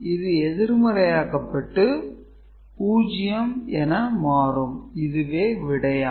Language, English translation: Tamil, So, 0, 1 is subtracted from 0 so this is 1 right